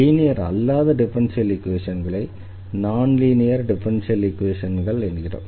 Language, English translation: Tamil, So, then we have the linear equation and if the differential equation is not linear then we call the non linear equation